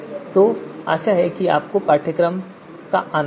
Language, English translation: Hindi, So hope you enjoyed the course